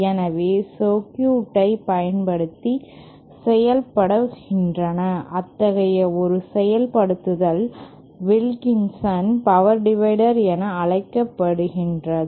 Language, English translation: Tamil, So, one such implementation is using a circuit known as Wilkinson power divider